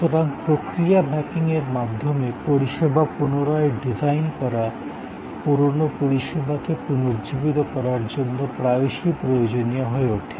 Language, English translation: Bengali, So, service redesign by process mapping often becomes necessary to revitalize an outdated service